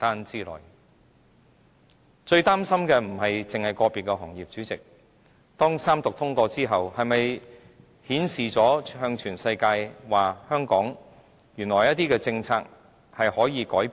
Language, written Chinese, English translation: Cantonese, 主席，我最擔心的不是個別行業，而是當《條例草案》三讀通過後，是否向全世界顯示了，原來香港有些政策是可以改變的？, President I do not particularly worry about a particular sector but the effect of reading the Bill for the Third time as this will show the entire world that Hong Kong actually is open to altering some of its policies